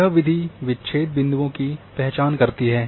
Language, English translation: Hindi, This method identifies break points